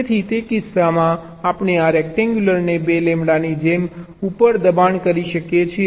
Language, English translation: Gujarati, so in that case we can possibly push this rectangle up like two lambda